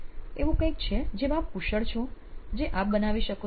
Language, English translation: Gujarati, Is it something that you are skilled at you can make something